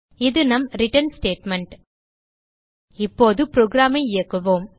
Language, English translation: Tamil, And this is our return statement Now let us execute the program